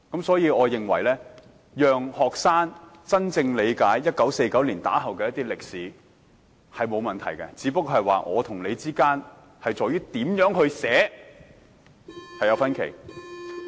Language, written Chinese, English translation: Cantonese, 所以，我認為讓學生學習1949年之後的歷史並無問題，只是我們對這段歷史該怎樣撰寫有分歧。, Therefore I do not think there is any problem with students studying the history after 1949 . It is only that we have disputes over how the history should be written